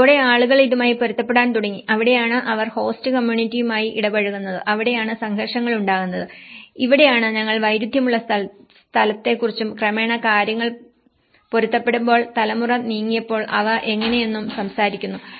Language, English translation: Malayalam, And with that people started adjusting with this and that is where they come interacted with the host community and that is where conflicts arise, this is where we talk about the conflicted space and gradually, when things get adapted, when generation moved on and how they accustom, how they adapted and how they continue their practices that is where a differential space comes